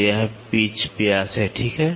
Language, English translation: Hindi, So, this is the pitch diameter, ok